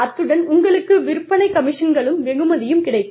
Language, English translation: Tamil, And, you have sales commissions